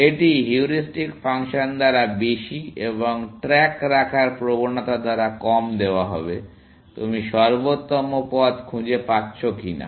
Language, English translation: Bengali, It will be given more by the heuristic function and less by the tendency to keep track of, whether you are finding optimal paths or not